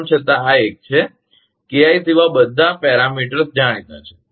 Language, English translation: Gujarati, Though this is a, all the parameters are known except KI